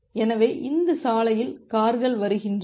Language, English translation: Tamil, So, the cars are coming to this road